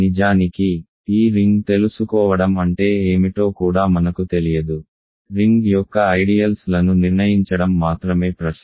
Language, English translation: Telugu, In fact, I do not even know what it means to know this ring, the question is only to determine the ideals of the ring ok